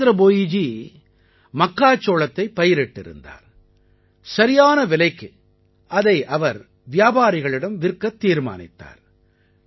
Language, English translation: Tamil, Jitendra Bhoiji had sown corn and decided to sell his produce to traders for a right price